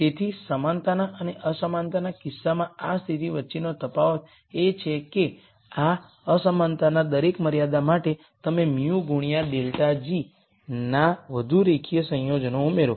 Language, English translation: Gujarati, So, the difference between this condition in the equality and inequality case is that for every one of these inequality constraints you add more linear combinations of mu times delta g